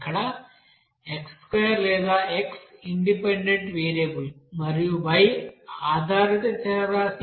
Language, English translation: Telugu, Here x square or x is you know independent variables and y is dependent variables